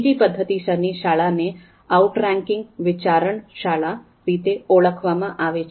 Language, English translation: Gujarati, The second methodological school is called outranking school of thoughts